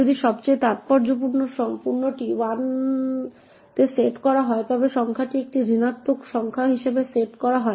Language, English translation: Bengali, If the most significant is set to 1 then the number is set to be a negative number